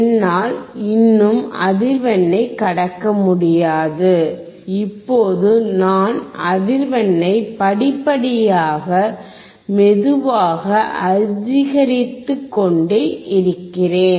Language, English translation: Tamil, And I cannot still pass the frequency, now I keep on increasing the frequency in slowly in steps